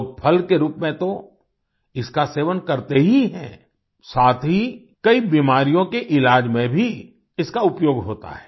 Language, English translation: Hindi, People consume it not only in the form of fruit, but it is also used in the treatment of many diseases